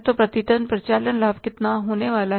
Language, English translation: Hindi, So the operating profit per ton is going to be how much